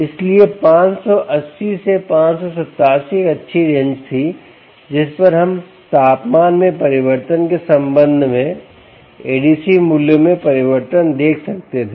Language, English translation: Hindi, so five hundred and eighty to five hundred and eighty seven was a nice range over which we were able to see the change in a d c values with respect to the change in temperature